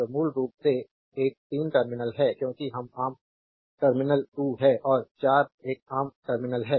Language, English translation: Hindi, So, this is basically a 3 terminal, because this is common terminal 2 and 4 is a common terminal